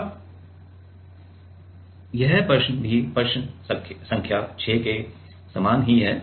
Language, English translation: Hindi, Now, this question is also a similar to the question number 6, right